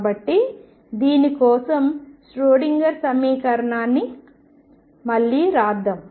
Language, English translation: Telugu, So, let us rewrite the Schrodinger equation for this